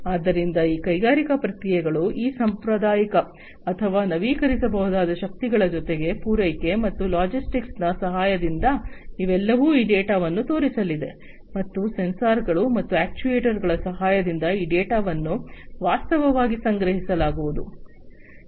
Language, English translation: Kannada, So, these industrial processes with the help of these traditional or renewable forms of energy plus supply and logistics these are all going to show in this data, and with the help of the sensors and actuators, this data are going to be in fact collected